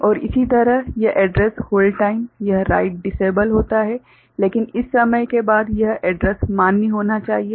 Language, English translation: Hindi, And similarly this address hold time, this write disables, but after this much of time this address should remain valid ok